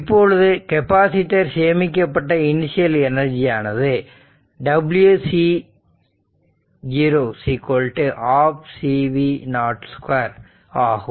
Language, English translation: Tamil, So, in this case the stored energy in the capacitor is this w c 0 is equal to half C V 0 square right